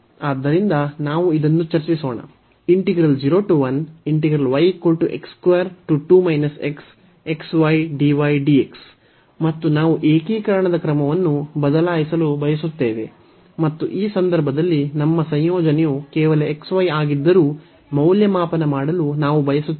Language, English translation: Kannada, And we want to change the order of integration and then we want to evaluate though in this case our integrand is just xy